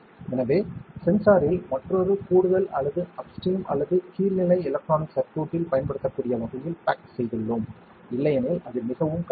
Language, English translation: Tamil, So, we have packaged in the sensor in a way that it can be used into another further or upstream or downstream electronic circuit, otherwise it is very difficult